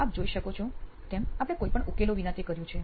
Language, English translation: Gujarati, As you observe it, without any solutions we have done that